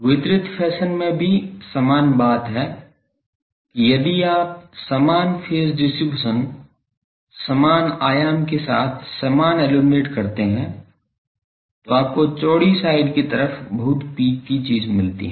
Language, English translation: Hindi, The same thing in a distributed fashion that if you uniformly illuminate with same phase distribution, same amplitude then you get very peaky thing along the broad side